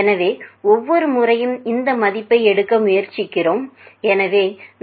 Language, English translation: Tamil, So, we are trying to take of this value every time, so 424